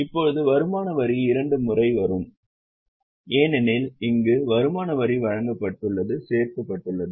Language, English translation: Tamil, Now, income tax will come twice because here income tax provided was added